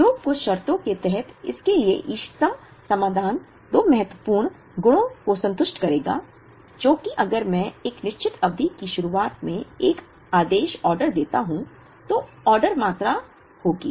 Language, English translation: Hindi, So, the optimum solution to this, under certain conditions will satisfy two important properties which is, if I place an order in the beginning of a certain period, then the order quantity will be